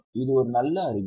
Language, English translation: Tamil, Is it a good sign